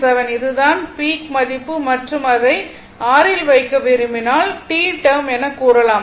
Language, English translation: Tamil, 07 this is the peak value and if you want to put it in your what you call in the tth term